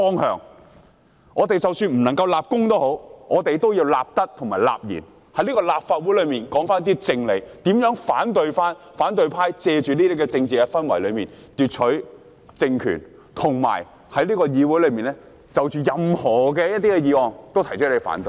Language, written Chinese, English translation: Cantonese, 即使我們不能立功，也要立德、立賢，在立法會中說出正理，阻止反對派藉着這些政治氛圍奪取政權，以及在議會中就任何議案都提出反對。, Even if we are unable to make any accomplishment we still have to build our virtue by speaking out the truth and stopping the opposition camp from making use of such political atmosphere to seize power and oppose whatever motions that are proposed in the Council